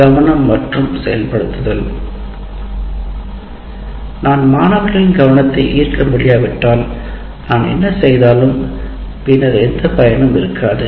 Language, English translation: Tamil, As we already mentioned, attention, if I can't get the attention of the students, whatever that I do subsequently, it doesn't serve any purpose